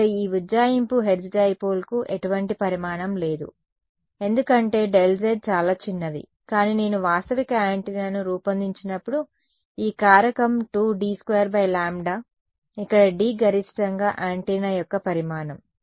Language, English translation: Telugu, This approximation here the hertz dipole itself had no dimension because delta z was very small, but when I make a realistic antenna a rule of thumb is this factor 2 D squared by lambda where D is the max dimension of the antenna